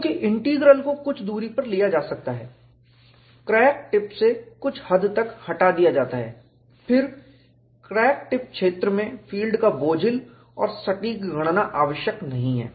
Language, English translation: Hindi, Since, the integral can be taken at a distance, somewhat removed from the crack tip, a cumbersome and precise computation of the field in the crack tip region, then, is not necessary